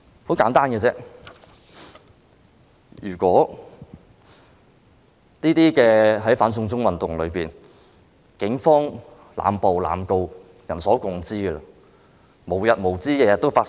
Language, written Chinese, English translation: Cantonese, 很簡單，如果這些......在"反送中"運動中，警方濫捕、濫告是人所共知的事，而且無日無之，每天都在發生。, Simply put if these It is a well - known fact that the Police has made arbitrary arrests and initiated arbitrary prosecutions during the anti - extradition to China movement and this is something that happens every day with no end in sight